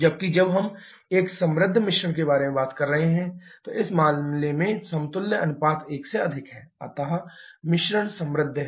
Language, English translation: Hindi, Whereas when we are talking about a richer mixture equivalence ratio is greater than 1 in this case, but mixture is rich